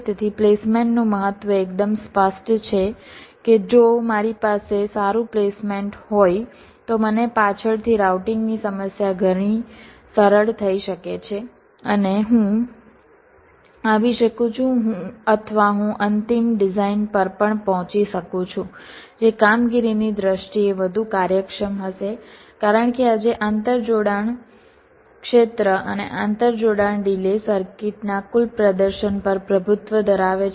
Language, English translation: Gujarati, ok, so the important of placement is quite cleared, that if i have a good placement i can have the routing problem much easier later on and also i can come or i can arrive at a final design which will be more efficient in terms of performance, because today interconnection area and interconnection delays are dominating the total performance of the circuits